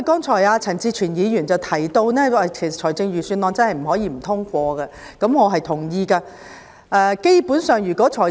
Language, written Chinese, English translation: Cantonese, 陳志全議員剛才提到，預算案真的不能不通過，我認同他的說法。, Mr CHAN Chi - chuen said just now that we could not afford to veto the Budget . I echo what he said